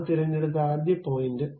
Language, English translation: Malayalam, The first point I have picked